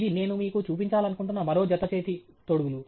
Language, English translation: Telugu, This is another pair of gloves which I wanted to show you